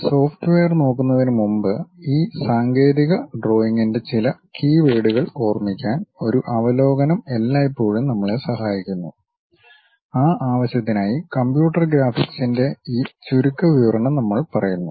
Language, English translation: Malayalam, Before, really looking at these softwares, a overview always help us to remember certain keywords of this technical drawing; for that purpose we are covering this brief overview on computer graphics ok